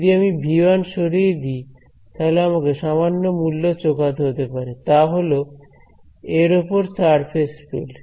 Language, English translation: Bengali, If I can remove V 1 the small price I have to pay is the surface fields on this